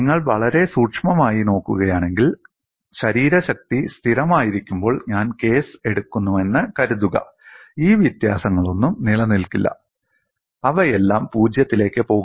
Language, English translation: Malayalam, If you look at very closely, suppose I take the case when body force is constant, none of these differential can exists they will all go to 0